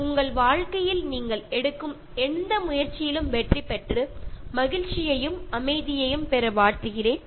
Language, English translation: Tamil, Wish you success in whatever endeavor that you take in your life, wish you happiness and peace also